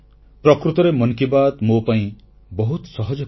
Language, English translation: Odia, Actually, Mann Ki Baat is a very simpletask for me